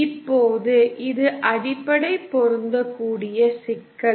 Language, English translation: Tamil, Now this is the basic matching problem